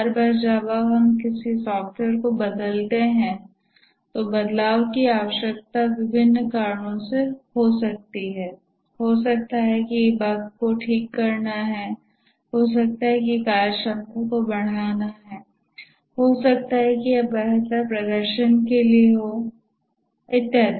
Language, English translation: Hindi, Each time we change a software, the change may be required due to various reasons, may be to fix a bug, may be to enhance the functionality, maybe to make it have better performance and so on